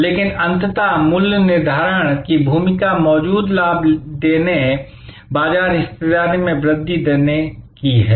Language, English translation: Hindi, But, ultimately the role of pricing is to deliver current profit, deliver growth in market share